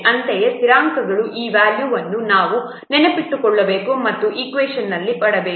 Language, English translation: Kannada, Accordingly, the value of the constants, you have to remember and put in the equation